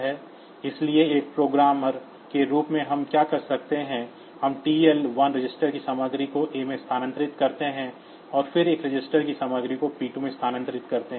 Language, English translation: Hindi, So, as a programmer what we do we move the content of TL 1 registered to A, and then move the content of a register to P 2